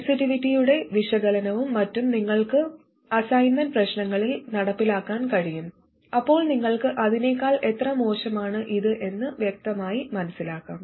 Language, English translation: Malayalam, The analysis of sensitivity and so on, you can carry out an activity and assignment problems, then you will clearly understand why and by how much this is worse than that one